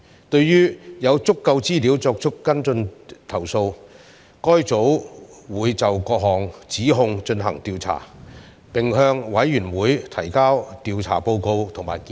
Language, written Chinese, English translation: Cantonese, 對於有足夠資料作出跟進的投訴，該組會就各項指控進行調查，並向委員會提交調查報告及建議。, For complaints with sufficient information for follow - ups it will conduct an investigation against the allegations and submit an investigation report and recommendations to the Committee